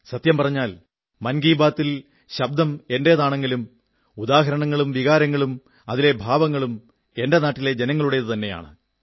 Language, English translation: Malayalam, Honestly speaking, Mann Ki Baat carries my voice but the examples, emotions and spirit represent my countrymen, I thank every person contributing to Mann Ki Baat